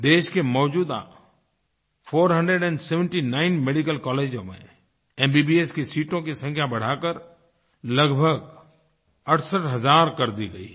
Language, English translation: Hindi, In the present 479 medical colleges, MBBS seats have been increased to about 68 thousand